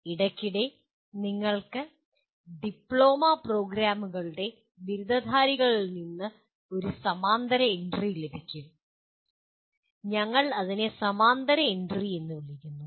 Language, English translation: Malayalam, Occasionally you get a parallel entry from the graduates of diploma programs, we call it parallel entry